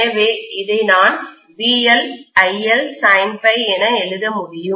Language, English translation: Tamil, So I can write this as VL IL sine phi